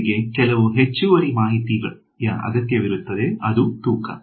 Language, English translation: Kannada, And, some extra information is needed those are the weights